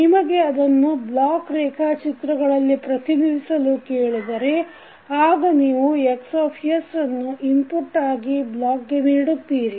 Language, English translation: Kannada, You will represent this particular equation in the form of block diagram as Xs is the input to the block